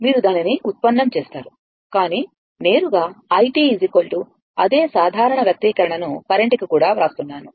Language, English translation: Telugu, You will derive it, but directly we are writing i t is equal to same same generalize expression for the current also